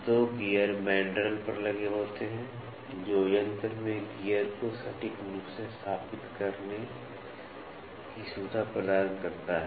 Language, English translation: Hindi, The 2 gears are mounted on mandrels, this is the mandrel, which facilitates accurate mounting of the gear in the machine